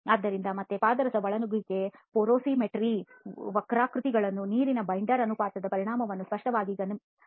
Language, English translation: Kannada, So again the effect of the water binder ratio can be clearly observed in the mercury intrusion porosimetry curves